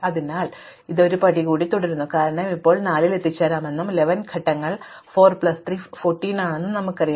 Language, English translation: Malayalam, So, we continue one more step and then because now we know that 4 was reachable and 11 steps 4 plus 3 is 14